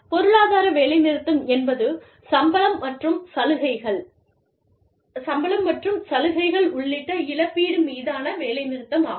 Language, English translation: Tamil, Economic strike is, strike over compensation, including salary and benefits